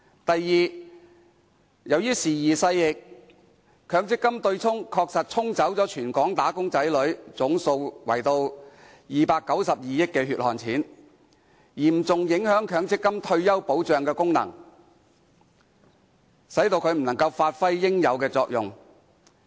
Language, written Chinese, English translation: Cantonese, 第二，由於時移勢易，強積金對沖確實"沖"走全港"打工仔女"合共292億元"血汗錢"，嚴重影響強積金的退休保障功能，使其不能發揮應有作用。, Secondly as time went by a total of 29.2 billion of the hard - earned money of local wage earners had been offset under the offsetting arrangement seriously affecting the MPF scheme to perform its due function of providing retirement protection